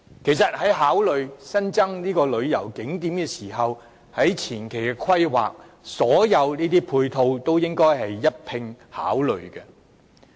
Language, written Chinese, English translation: Cantonese, 其實在考慮增加旅遊景點時，所有配套也應該在前期的規劃中一併考慮。, As a matter of fact in pondering the development of new tourist attractions all supporting facilities must be taken into consideration in the preliminary planning as well